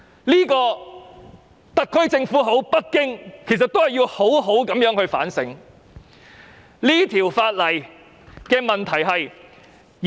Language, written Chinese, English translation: Cantonese, 這是特區政府或北京要好好反省的問題。, This is the question that the SAR Government or the Beijing Government should reflect on